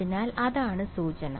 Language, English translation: Malayalam, So, that implies that